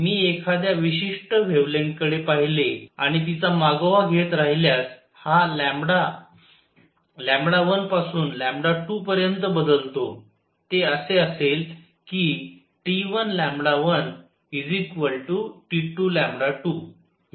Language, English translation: Marathi, It goes from T 1 to T 2, if I look at a particular wavelength and keep following it, this lambda changes from lambda 1 to lambda 2; it will be such that T 1 lambda 1 is equal to T 2 lambda 2